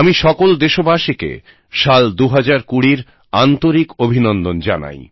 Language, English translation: Bengali, I extend my heartiest greetings to all countrymen on the arrival of year 2020